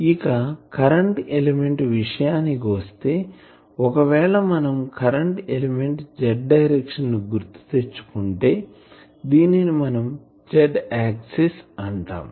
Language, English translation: Telugu, In case of current element, if you recall in case of current element the direction so, if we are here this is our z axis